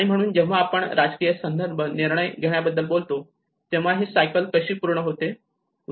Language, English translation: Marathi, So when we talk about the decision making in a political context, how this whole cycle comes